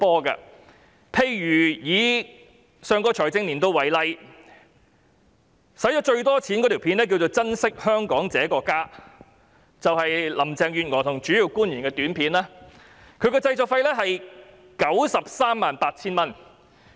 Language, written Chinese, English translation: Cantonese, 以上個財政年度為例，花錢最多的短片是"珍惜香港這個家"，是行政長官和主要官員一起拍攝，製作費是 938,000 元。, Taking the last financial year as an example the most costly API was entitled Treasure Hong Kong our home in which the Chief Executive and principal officials appeared and the production cost was 938,000